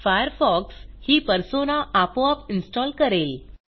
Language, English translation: Marathi, Firefox installs this Persona automatically